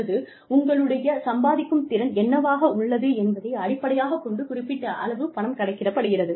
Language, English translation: Tamil, Or the, you know, a certain amount of money is calculated, based on what your earning capacity would be